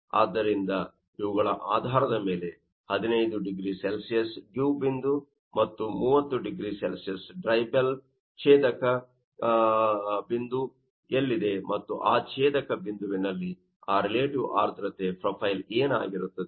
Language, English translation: Kannada, So, based on these 15 degrees Celsius dew point and 30 degrees Celsius dry bulb, where is the cross intersection point and at that intersection point, what would be the profile of that relative humidity